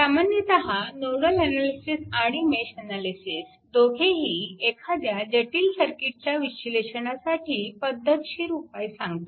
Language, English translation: Marathi, This is actually generally for both nodal and mesh analysis provide a systematic way of analysis and complex circuit right